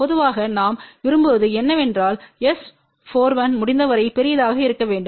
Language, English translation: Tamil, And generally what we want is that S 4 1 should be as large as possible